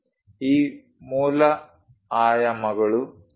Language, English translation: Kannada, These basic dimensions 2